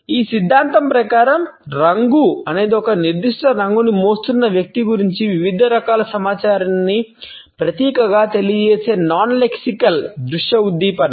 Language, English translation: Telugu, According to this theory, color is a non lexical visual stimulus that can symbolically convey various types of information about the person who is carrying a particular color